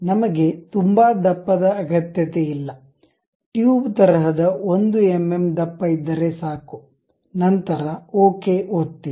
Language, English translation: Kannada, We do not really require that thickness may be 1 mm thickness is good enough like a tube, then click ok